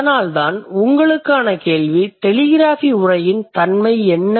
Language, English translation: Tamil, Then my question for you would be what do you think in case of telegraphic speech